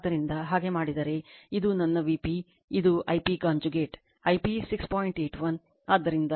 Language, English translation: Kannada, So, if you do so, this is my V p, and this is I p conjugate right